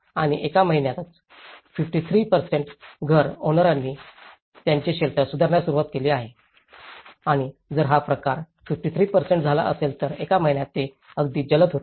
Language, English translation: Marathi, And within a month 53% of the house owners have started to upgrade their shelters and this is very quick, within a month if this kind of change is 53%